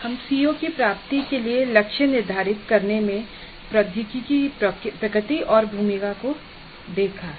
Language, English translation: Hindi, We have seen the nature and role of technology in setting targets for attainment of COs that we completed